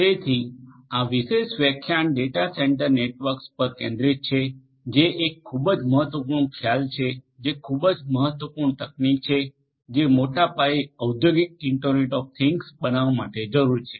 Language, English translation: Gujarati, So, this particular lecture will focus on Data Centre Networks which is a very important concept a very important technology that is required for building large scale industrial internet of things